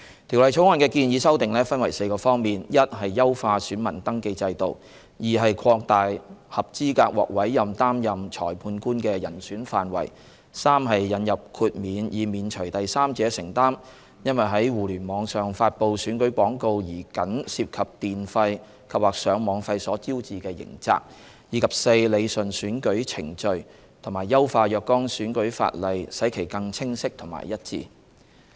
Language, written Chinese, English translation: Cantonese, 《條例草案》的建議修訂分為4個方面： a 優化選民登記制度； b 擴大合資格獲委任擔任審裁官的人選範圍； c 引入豁免以免除第三者承擔因在互聯網上發布選舉廣告而僅涉及電費及/或上網費所招致的刑責；及 d 理順選舉程序及優化若干選舉法例使其更清晰和一致。, The Bill has proposed amendments in four aspects a Enhancing the voter registration system; b Broadening the pool of eligible candidates for appointment as Revising Officer; c Introducing a targeted exemption from criminal liability in respect of the activity of a third party who incurs merely electricity and Internet access charges in publishing election advertisements on the Internet; and d Rationalizing electoral procedures and improving the clarity and consistency of certain electoral laws